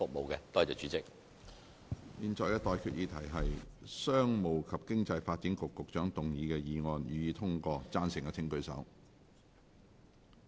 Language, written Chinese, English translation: Cantonese, 我現在向各位提出的待決議題是：商務及經濟發展局局長動議的議案，予以通過。, I now put the question to you and that is That the motion moved by the Secretary for Commerce and Economic Development be passed